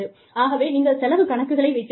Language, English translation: Tamil, So, you could have spending accounts